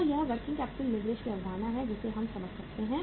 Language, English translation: Hindi, So this is the concept of the working capital leverage we can understand